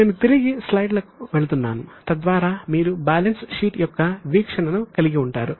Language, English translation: Telugu, Now, I am just going back to the slide so that you can have a view of the balance sheet